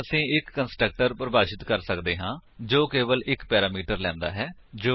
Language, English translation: Punjabi, We can therefore now define a constructor which takes only one parameter